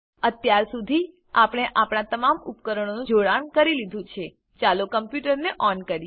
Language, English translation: Gujarati, Now that we have connected all our devices, lets turn on the computer